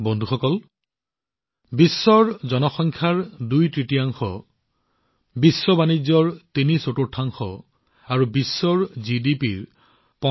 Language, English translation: Assamese, Friends, the G20 has a partnership comprising twothirds of the world's population, threefourths of world trade, and 85% of world GDP